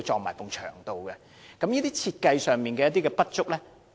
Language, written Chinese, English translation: Cantonese, 為何會出現這些設計上的不足？, Why are there these defects in the design?